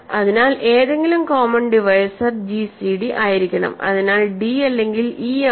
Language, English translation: Malayalam, So, any common divisor must be, so gcd is either d or e